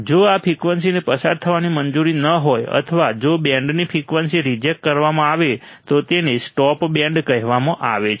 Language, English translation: Gujarati, If this frequency is not allowed to pass or if band frequency is rejected, then it is called stop band